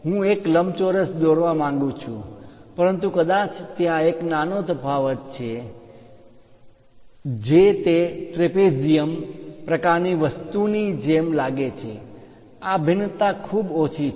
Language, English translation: Gujarati, I want to draw rectangle, but perhaps there is a small variation it might look like trapezium kind of thing, these variations are very small